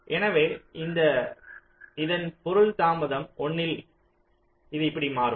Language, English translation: Tamil, so after delay of one, this will come here